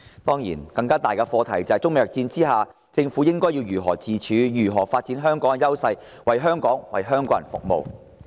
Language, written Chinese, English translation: Cantonese, 當然，更大的課題是，在中美貿易戰下，政府應如何自處，如何發展香港的優勢，為香港及香港人服務？, Certainly the bigger issue is how amid the trade war between China and the United States the Government should cope in order to develop Hong Kongs advantages and serve the city as well as its people?